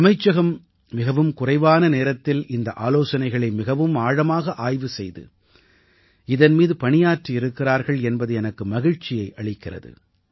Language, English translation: Tamil, I am happy that in such a short time span the Ministry took up the suggestions very seriously and has also worked on it